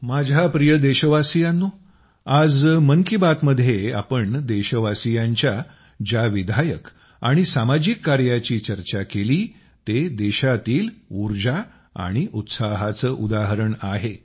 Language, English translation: Marathi, My dear countrymen, the creative and social endeavours of the countrymen that we discussed in today's 'Mann Ki Baat' are examples of the country's energy and enthusiasm